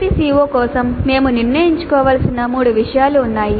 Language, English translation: Telugu, For each CO there are three things that we must decide